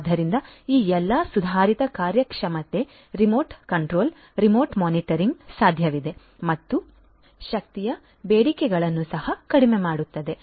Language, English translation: Kannada, So, all of these improved performance remote control, remote monitoring can be possible and also reduced energy demands